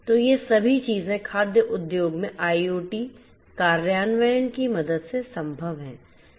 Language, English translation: Hindi, So, all of these things are possible with the help IoT implementation in the food industry